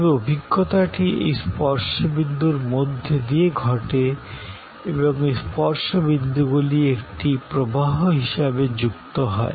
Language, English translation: Bengali, But, that experience happens through these series of touch points and this touch points are linked as a flow